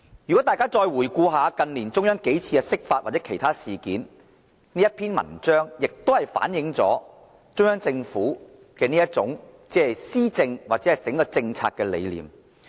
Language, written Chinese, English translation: Cantonese, 如果大家再回顧近年中央幾次釋法或其他事件，這篇文章也反映了中央政府施政或政策的整體理念。, This article also reflects the overall governance or policy philosophy of the Central Government manifested in incidents such as the interpretation of the Basic Law which we have seen in recent years